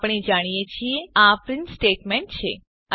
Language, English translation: Gujarati, As we know this is a print statement